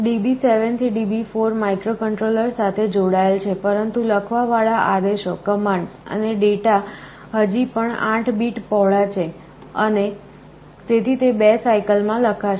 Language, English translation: Gujarati, DB7 to DB4 are connected to the microcontroller, but the commands and data that are actually to be written are still 8 bit wide, and so they will be written in 2 cycles